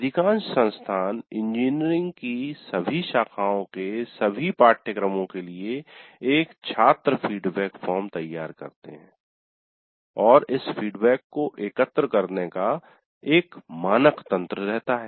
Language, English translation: Hindi, Most institutions design one student feedback form for all the courses of all branches of engineering and have a standard mechanism of collecting this feedback